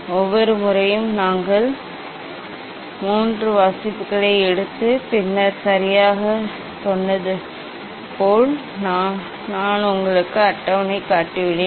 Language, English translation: Tamil, As I told every time we take three reading and then average, I have shown you table